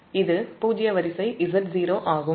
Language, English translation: Tamil, and for zero sequence, this is z zero